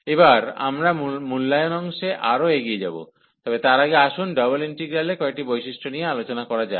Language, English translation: Bengali, So, coming further now for the evaluation part, before we go to the evaluation let us discuss some properties of the double integrals